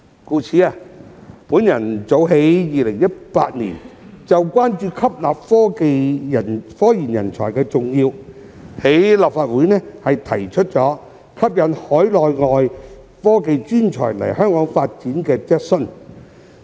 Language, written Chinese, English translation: Cantonese, 故此，我早在2018年關注到吸納科研人才的重要性，在立法會提出關於吸引海內外科技專才來港發展的質詢。, In view of this as early as in 2018 I expressed concern about the importance of attracting research and development talents and raised a question in the Legislative Council on attracting Mainland and overseas technology talents to come to Hong Kong for career development